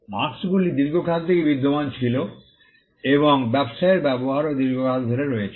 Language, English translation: Bengali, Marks have existed since time immemorial and the usage in business has also been there for a long time